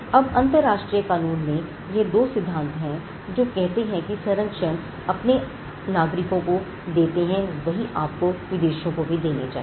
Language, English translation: Hindi, Now, these are two principles in international law, which says that the protection that you offer to your nationals, your citizens should be offered to foreigners as well